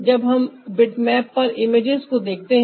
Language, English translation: Hindi, that's more like the how we look at the bitmap images